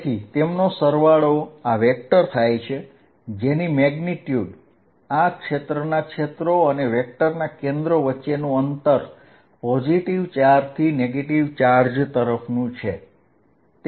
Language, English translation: Gujarati, So, their sum is this vector whose magnitude that distance between the centres of theses spheres and vector is from positive charge towards the negative charge